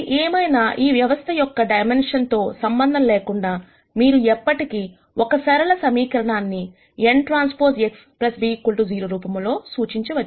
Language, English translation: Telugu, So, irrespective of what ever is the dimension of your system, you can always represent a single linear equation in this form n transpose X plus b equals 0